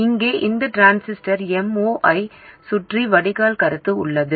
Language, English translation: Tamil, Here we have drain feedback around this transistor M0